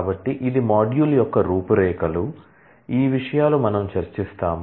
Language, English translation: Telugu, So, this is a module outline, these are the topics, that we will discuss